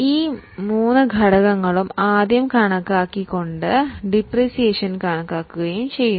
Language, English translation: Malayalam, So, these three factors are first estimated and based on that the depreciation is calculated